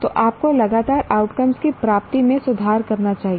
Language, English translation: Hindi, So you should continuously improve the attainment of the outcomes